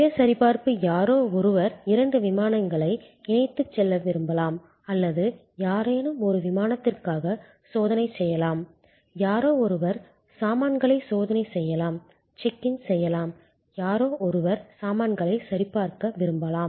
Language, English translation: Tamil, Self checking, somebody may want to check in for two flights in conjunction or somebody may be just checking in for one flight, somebody may checking in without any check in baggage, somebody may be wanting to check in baggage,